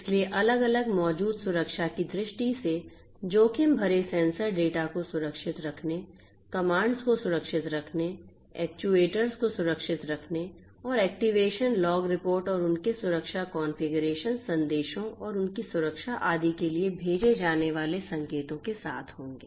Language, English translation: Hindi, So, the different security risks that exist would be with securing the sensor data, securing the commands, securing the actuators and the signals that are sent for actuation, log reports and their security configuration messages and their security and so on